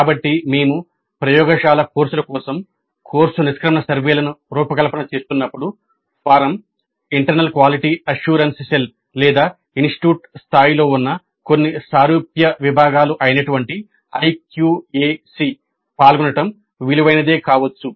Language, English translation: Telugu, So when we are designing the course exit surveys for the laboratory courses it may be worthwhile having IQAC participate in the design of the form, the internal quality assurance help or some similar body which exists at the institute level if that body participates in the design of exit survey form there are certain advantages